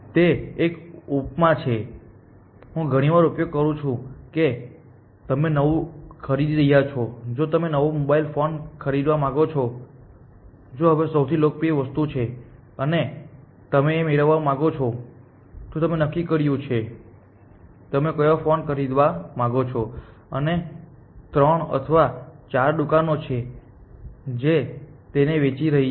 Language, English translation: Gujarati, It is an analogy that, I often tend to use that supposing you are buying a new, you want to buy a new, mobile phone the most popular object now a days and you want to get a, you have decided what phone you want to buy and but there are three or four shops which are selling it